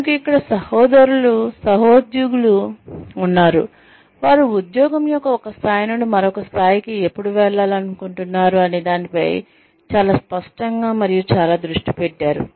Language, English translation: Telugu, We have colleagues here, who are very clear on, and very focused on, when they would like to move, from one level of the job, to another level